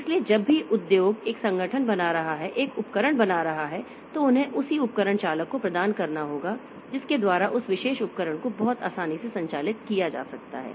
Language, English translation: Hindi, So, whenever a, if making a organization is making a device, they must provide the corresponding device driver by which that particular device can be operated very easily